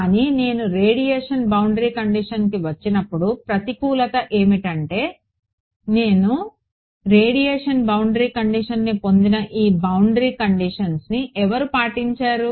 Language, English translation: Telugu, But on the disadvantage when I come to the radiation boundary condition the disadvantage is, that this boundary condition which I just derive radiation boundary condition it was obeyed by whom